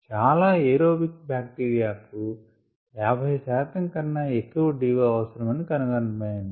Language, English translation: Telugu, what is been found is that many aerobic bacteria need a d o above fifty percent to do well